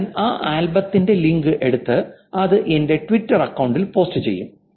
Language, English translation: Malayalam, I take the link of the album and then I go post the link to the album in my Twitter account